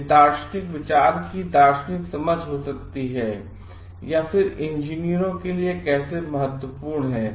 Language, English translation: Hindi, This may be a philosophical understanding philosophical thought, then how come it is important for engineers